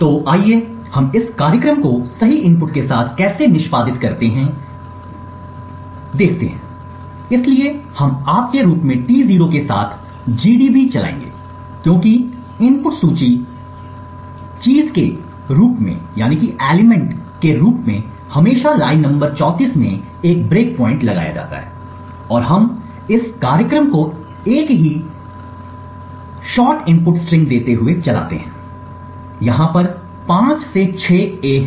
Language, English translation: Hindi, So let us just go through how this program executes with the right input first, so we will as you shall run gdb with T 0 as input list thing as usual put a breakpoint in line number 34 and we run this program giving the same shot input string, there are five to six A over here